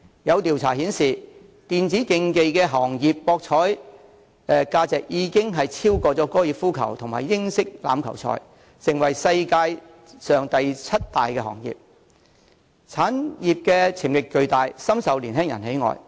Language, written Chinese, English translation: Cantonese, 有調查顯示，電子競技行業的博彩價值已超越高爾夫球和英式欖球，成為世界上第七大行業，產業潛力巨大，深受年輕人喜愛。, Surveys indicate that the value of gambling on electronic competitive sports has already exceeded that on golf and rugby and this has become the seventh largest industry in the world . It has huge market potential and enjoys great popularity among young people